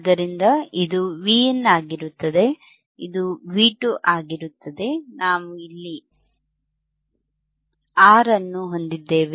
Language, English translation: Kannada, So, this will be Vin, this will be V 2 right